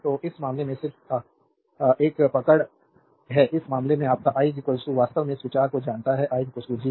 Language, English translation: Hindi, So, in this case just hold on ah, in this case your i is equal to actually you know this think i is equal to Gv, right i is equal to G into v